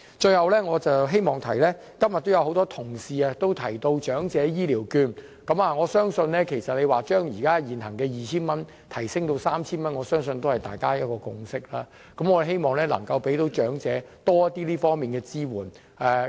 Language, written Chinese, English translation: Cantonese, 最後，我想說的是，今天很多同事提到長者醫療券，我相信將現行 2,000 元提升至 3,000 元，是大家的一個共識，我們希望能夠給長者更多這方面的支援。, Lastly I would like to talk about elderly health care vouchers that many colleagues also mention today . I believe that it is a consensus to increase the amount from 2,000 to 3,000 . We hope that more support can be given to the elderly